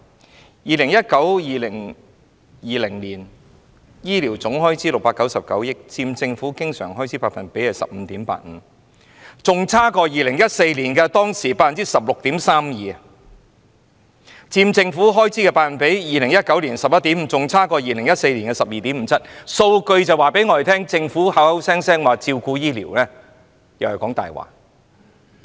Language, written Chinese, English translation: Cantonese, 在 2019-2020 年度醫療總開支是699億元，佔政府經常開支 15.85%， 較2014年的 16.32% 為低；而佔政府開支的百分比 ，2019 年的 11.5% 亦較2014年的 12.57% 為低。, In 2019 - 2020 the total healthcare expenditure is 69.9 billion accounting for 15.85 % of the Governments recurrent expenditure and is lower than the 16.32 % in 2014 . In terms of the percentage in the Governments expenditure it is 11.5 % in 2019 which is also lower than 12.57 % in 2014